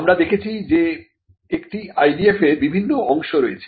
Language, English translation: Bengali, Now, we had seen that an IDF has different parts